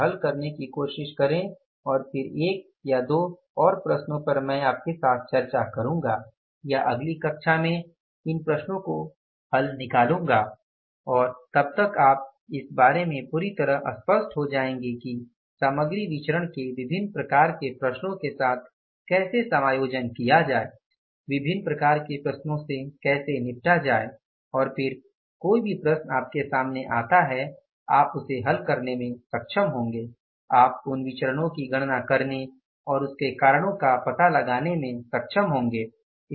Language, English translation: Hindi, So, these are the two problems which we did here try to solve out here and then one or two more problems I will discuss with you or solve out of this problem sheet in the next class and by that time you will be fully clear about that how to adjust different kind of the problems, how to deal with the different kind of the problems with regard to the material variances and then any problem comes to you, you will be able to do that, you will be able to find out those variances and find out the reasons for that